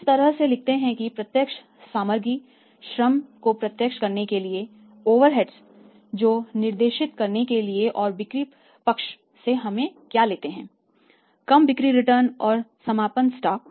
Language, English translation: Hindi, We write like this to direct material,l to direct labour, to direct overheads and this side what we take by sales, less sales returns and then is the by closing stock